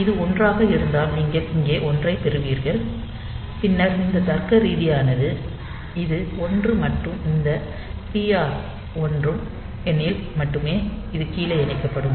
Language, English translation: Tamil, So, if it is 1 then you will get a 1 here and then this logical, you can say that if this this is 1 and this TR 1 is also 1 then only